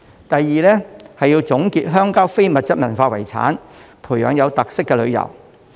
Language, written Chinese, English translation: Cantonese, 第二，要總結鄉郊的非遺，培養有特色的旅遊。, Secondly it is necessary to make a summary of ICH in the rural areas and develop tours with unique characteristics